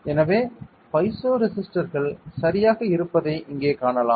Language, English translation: Tamil, So, you can see here that there are piezo resistors ok